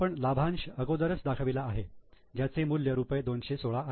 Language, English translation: Marathi, We have already shown the dividend which is 216